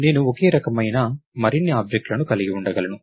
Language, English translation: Telugu, I can have more objects of the same type